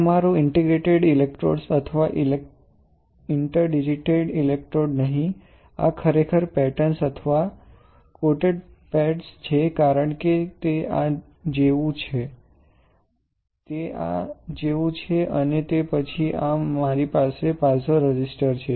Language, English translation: Gujarati, These are my let say interdigitated electrodes or you can, not interdigitated electrode, these are actually the patterns or contact pads; because it is like this right, it is like this and then on this, I have piezo resistor like this alright